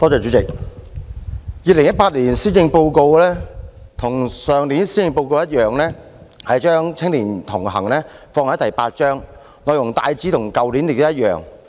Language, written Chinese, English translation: Cantonese, 主席，與去年的施政報告一樣 ，2018 年的施政報告將"與青年同行"放在第八項，內容亦大致與去年一樣。, President like the Policy Address last year the 2018 Policy Address puts Connecting with Young People in Chapter VIII and generally speaking the proposals are the same as those of last year